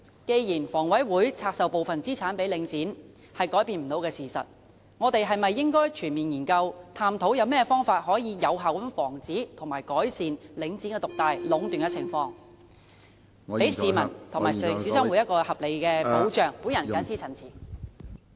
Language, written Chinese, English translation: Cantonese, 既然房委會拆售部分資產予領展是改變不了的事實，我們是否應該全面研究，探討有何方法能有效防止及改善領展獨大和壟斷的情況，讓市民和小商戶有合理的保障......我謹此陳辭。, Since the divestment of part of HAs assets to Link REIT is an unchangeable fact should we take a comprehensive look and explore ways to effectively prevent and ameliorate the dominance of Link REIT so that the public and small businesses will enjoy reasonable protection I so submit